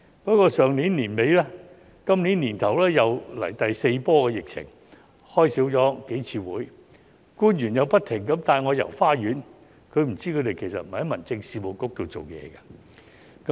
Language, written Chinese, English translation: Cantonese, 不過，上年年底和今年年初出現第四波疫情，數次會議未有舉行，官員又不停地帶我"遊花園"，他不知道他們不是在民政事務局裏工作。, However the fourth wave of pandemic arrived between the end of last year and earlier this year and a number of meetings were not held as a result . In addition officials continued to beat about the bush and he did not know they were not working in the Home Affairs Bureau